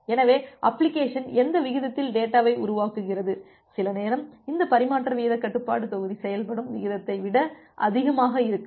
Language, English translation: Tamil, So, at whatever rate the application is generating the data, some time it may be higher than the rate at which this transmission rate control module works